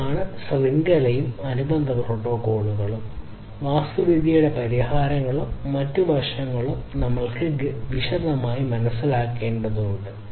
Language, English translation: Malayalam, So, this is this network and the corresponding protocols, architecture, and other aspects of solutions that we need to understand in considerable detail